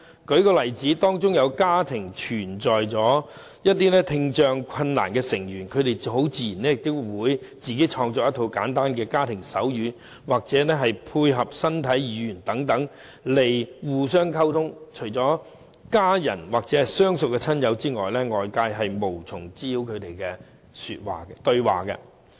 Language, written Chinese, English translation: Cantonese, 舉例而言，當一個家庭中有聽障困難的成員，他們很自然便會自行創作一套簡單的家庭手語，或配合身體語言等來互相溝通，除了家人或相熟的親友外，外界是無法明白他們的對話的。, For instance a family with a member having hearing difficulty will naturally develop a simple set of sign language for its own use and may communicate with the help of body language as well . Apart from members or close relatives of the family no one from the outside world can understand their conversations